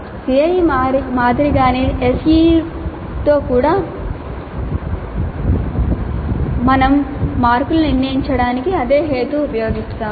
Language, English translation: Telugu, Just as with CIE, with CEE also, SE also we use the same rationale for determining the marks